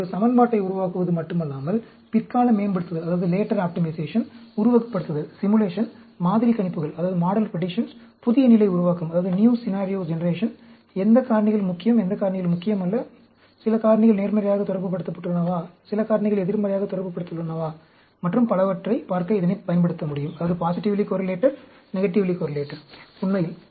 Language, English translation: Tamil, It not only developing an equation, it can be used for later optimization, simulation, model predictions, new scenario generation, looking at which factors are important, which factors are not important, whether some factors are positively correlated, whether some factors are negatively correlated, and so on, actually